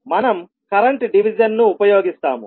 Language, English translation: Telugu, We will use the current division